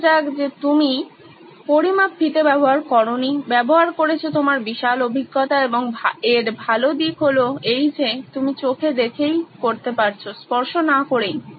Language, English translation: Bengali, Let’s say you don’t use a measuring tape, use your vast experience and the good part that you can see in green is that there is no touching